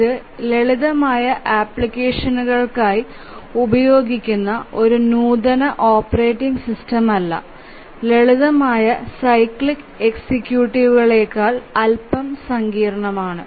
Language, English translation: Malayalam, So, this is also not a sophisticated operating system used for simple applications but slightly more sophisticated than the simplest cyclic executives